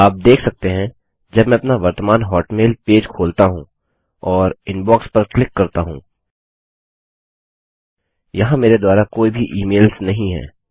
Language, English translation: Hindi, You can see when I open up my current hotmail page and click on Inbox, there are no emails here from me